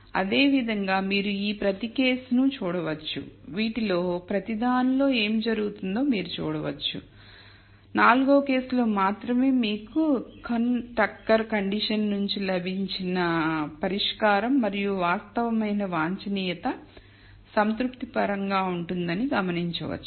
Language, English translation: Telugu, Similarly you can look at each of these cases and you can see what happens in each of these and you will notice that only in case 4 will you have the solution that you got from the Kuhn Tucker condition and the actual optimum being satisfied